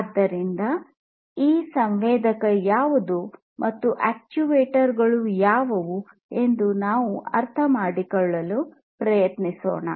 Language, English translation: Kannada, So, let us try to understand, what is this sensor, and what is this actuator